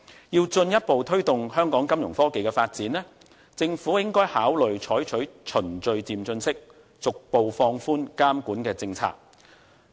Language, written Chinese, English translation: Cantonese, 要進一步推動香港金融科技的發展，政府應該考慮採取循序漸進方式，逐步放寬監管的政策。, In order to further promote Fintech development in Hong Kong the Government should adopt an incremental approach of gradually relaxing the regulatory policy